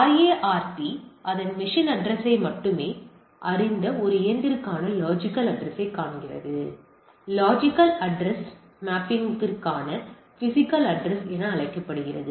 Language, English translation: Tamil, So, finds the logical address for a machine that only know this physical address; the physical address to the logical address mapping